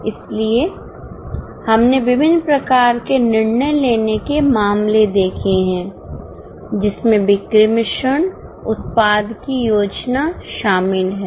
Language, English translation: Hindi, So, we have seen variety of decision making cases involving, let us say, sales mix, involving product planning